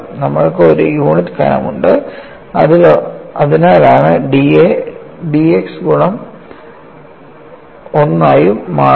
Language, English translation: Malayalam, And we are having a unit thickness, so that is why d A becomes d x into 1